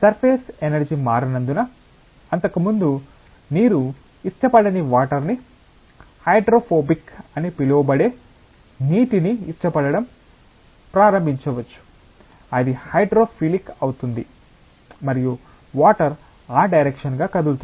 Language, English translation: Telugu, Because the surface energy gets altered a surface which was earlier disliking water may start liking water that is from so called hydrophobic it becomes hydrophilic and water will move into that direction